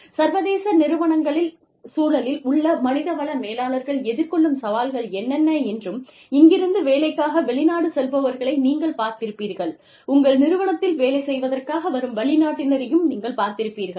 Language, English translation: Tamil, What are the challenges, that human resources managers face, in the context of international companies, where you have people, going abroad to work by, you have foreigners, coming into work in your organization, etcetera